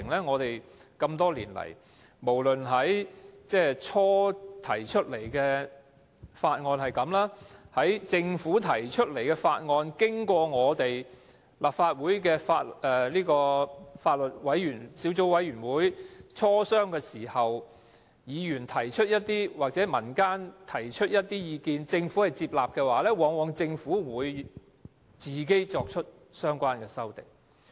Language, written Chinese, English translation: Cantonese, 我們多年來多次看到這些過程，例如政府最初提出一項法案，在經過立法會司法及法律事務委員會磋商時，議員或民間提出一些意見而政府接納，但最後往往便由政府提出相關修正案。, We have seen this repeatedly over the years . For example there were cases in which a bill was initially put forward by the Administration . Following deliberation by the Panel on Administration of Justice and Legal Services the Government somehow accepted the amendments proposed by Members and the community but then it insisted on moving these amendments in its own name